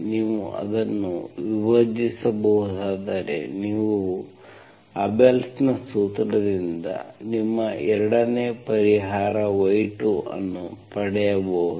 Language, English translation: Kannada, If we divide it, what you derived is from the Abel’s formula, you get your 2nd solution y2